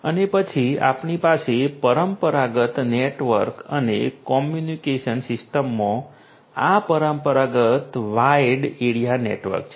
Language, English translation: Gujarati, And then we have this wide area network the traditional wide area network in the conventional network and communication system